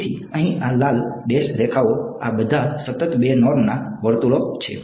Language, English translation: Gujarati, So, these red dash lines over here these are all circles of constant 2 norm right